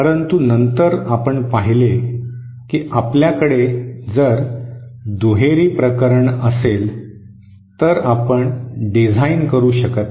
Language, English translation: Marathi, But then we see that if we have the bilateral case, then we cannot design